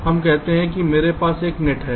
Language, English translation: Hindi, lets say, i have a net